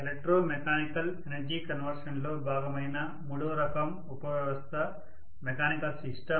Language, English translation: Telugu, And the third type of subsystem which is the part of electromechanical energy conversion system is the mechanical system